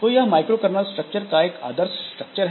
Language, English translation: Hindi, So this is a typical structure of a microcernel structure